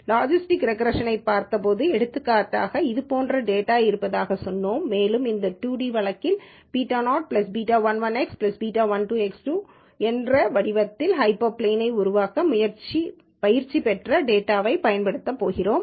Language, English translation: Tamil, Remember when we looked at logistics regression for example, we said, let us say there is data like this and we are going to use the trained data, to develop a hyperplane of this form beta naught plus beta 1 1 X 1 plus beta 1 2 X 2 in the 2 d case